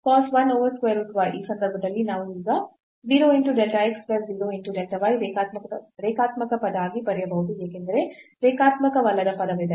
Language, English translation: Kannada, So, in this case we can now write down the 0 into delta x plus 0 into delta y that linear term because there is non linear term